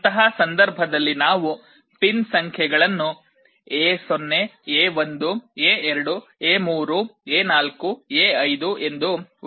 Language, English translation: Kannada, In that case those pin numbers we can refer to as A0 A1 A2 A3 A4 A5